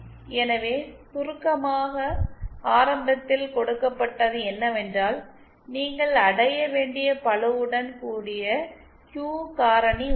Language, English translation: Tamil, So in summary you know what is initially given is the loaded Q factor that you have to achieve